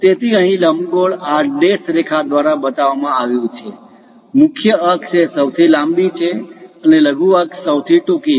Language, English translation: Gujarati, So, here ellipse is shown by these dashed lines; the major axis is this longest one, and the minor axis is this shortest one